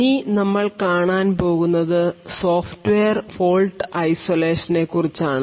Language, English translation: Malayalam, So, what we will be looking at is something known as Software Fault Isolation